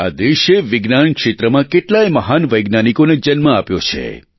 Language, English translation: Gujarati, This land has given birth to many a great scientist